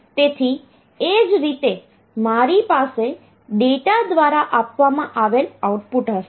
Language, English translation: Gujarati, So, similarly I will have the output which is given by the data